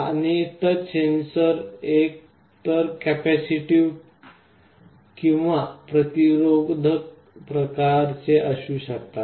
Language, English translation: Marathi, And broadly speaking this kind of touch sensors can be either capacitive or resistive